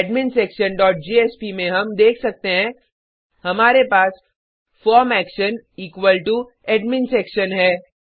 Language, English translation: Hindi, We can see that in adminsection dot jsp we have the form action equal to AdminSection